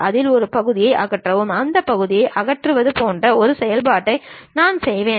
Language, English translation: Tamil, On that I will make operation like remove that portion, remove that portion